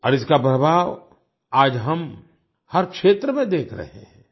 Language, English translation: Hindi, And today we are seeing its effect in every field